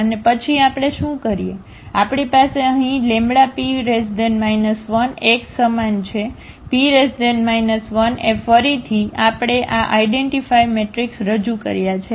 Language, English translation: Gujarati, And then what we do, we have here the lambda P inverse x the same, the P inverse A again we have introduced this identity matrix